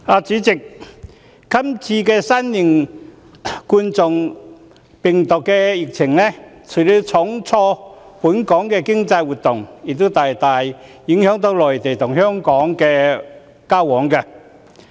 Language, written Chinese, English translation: Cantonese, 主席，這次新型冠狀病毒的疫情，除了重挫本港經濟活動外，亦大大影響內地和香港的交往。, President the novel coronavirus epidemic has not only dealt a heavy blow to the economic activities of Hong Kong but also seriously affected interactions between the Mainland and Hong Kong